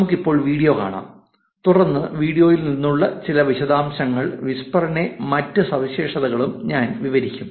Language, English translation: Malayalam, We take a look at video now and then I will describe some details which is from the video and other features of whisper